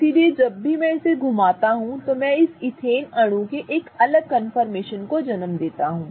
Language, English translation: Hindi, So, anytime I rotate, I give rise to a different confirmation of this ethane molecule